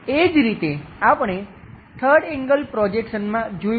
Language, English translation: Gujarati, Similarly, we have looking in the 3rd angle projection